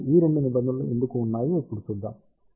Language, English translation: Telugu, So, let us see now why these 2 terms are there